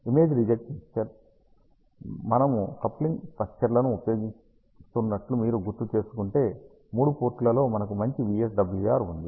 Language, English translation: Telugu, Image reject mixer, also if you recall we use coupling structure, so we have a good ah VSWR at all the three ports